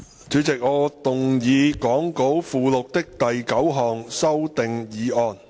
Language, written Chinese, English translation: Cantonese, 主席，我動議講稿附錄的第9項修訂議案。, President I move the ninth amending motion as set out in the Appendix to the Script